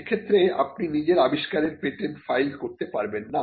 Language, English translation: Bengali, And if it gets killed then you cannot file a patent for your invention